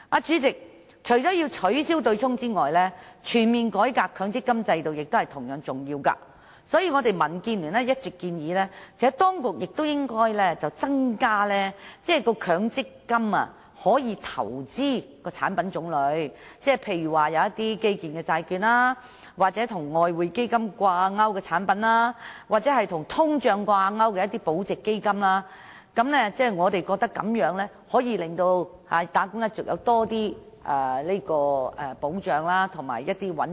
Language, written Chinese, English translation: Cantonese, 主席，除了取消對沖機制，全面改革強積金制度亦同樣重要，所以民建聯一直建議當局增加強積金可投資的產品種類，例如基建債券、與外匯基金掛鈎的產品，或與通脹掛鈎的保值基金。我們認為，這樣能夠令打工一族獲得較大保障和更穩定的回報。, President apart from abolishing the offsetting mechanism it is equally important to reform the MPF System comprehensively . That is why DAB has all along suggested that the variety of MPF investments should be increased for example to include products like infrastructure bonds Exchange Fund - linked products or inflation - protected bonds so as to better protect wage earners by providing a more stable return